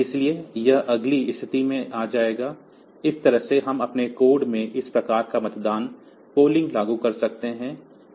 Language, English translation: Hindi, So, it will be coming to the next position, this way we can have this type of polling implemented in our code